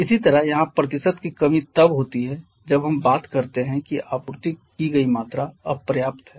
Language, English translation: Hindi, Similarly the percent deficiency of here is the case when we talk when the amount of air supplied is insufficient